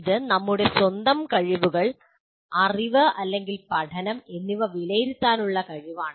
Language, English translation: Malayalam, Or it is the ability to assess our own skills, knowledge, or learning